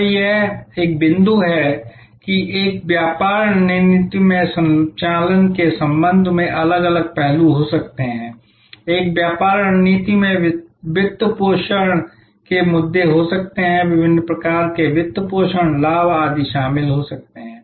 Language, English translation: Hindi, So, this is a point that in a business strategy, there are may be different aspects with respect to operations, in a business strategy there could be financing issues, different types of financing leveraging, etc may be involved